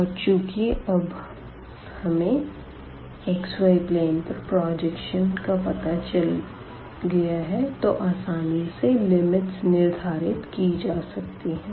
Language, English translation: Hindi, And, then once we have figured out this projection on the xy plane then we can easily put the limits of the integration